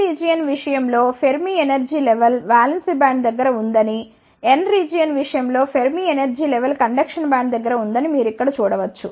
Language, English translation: Telugu, Here you can see that in case of P region the Fermi energy level is near the valence band, in case of n region the Fermi energy level is near the conduction band